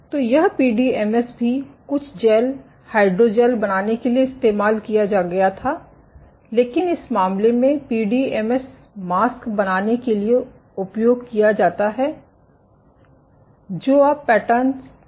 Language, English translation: Hindi, So, this was PDMS was also used for making some of the gels, hydrogels, but in this case PDMS is used for making the masks not the you know the patterns